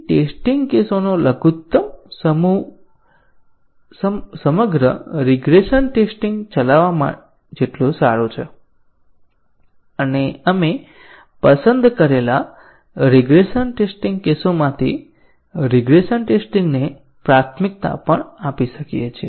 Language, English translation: Gujarati, So, the minimized set of test cases is as good as running the entire regression tests and we might also do regression test prioritization out of the regression test cases that have been selected